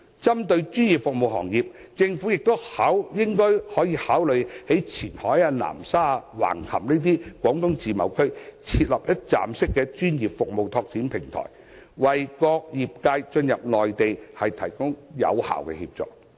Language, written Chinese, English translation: Cantonese, 針對專業服務行業，政府亦可以考慮在位於前海、南沙、橫琴的中國自由貿易試驗區，設立一站式專業服務拓展平台，為各個業界進入內地提供有效協助。, Regarding professional services industries the Government can also consider establishing a one - stop platform for professional service development in the China Guangdong Pilot Free Trade Zone regions in Qianhai Nansha and Hengqin so as to provide effective assistance for different industries entering the Mainland